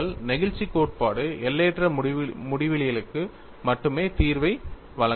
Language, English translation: Tamil, See, if theory of elastic can provide solution only for infinite geometry, all practical geometries are finite